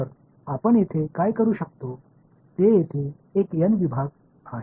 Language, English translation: Marathi, So, what we can do is there are n segments over here